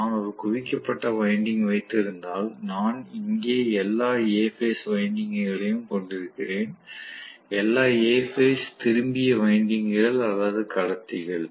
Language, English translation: Tamil, If I have a concentrated winding, I am probably going to have all the A phase winding here, all the A phase returned windings or conductor here